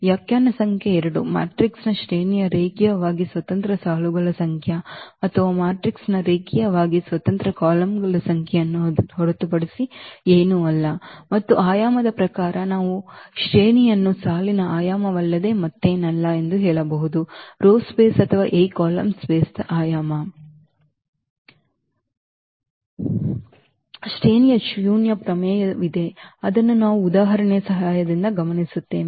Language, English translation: Kannada, The definition number 2 the rank of a matrix is nothing but the number of linearly independent rows or number of linearly independent columns of the matrix and we in the terms of the dimension we can also say that the rank is nothing but the dimension of the row space or the dimension of the column space of A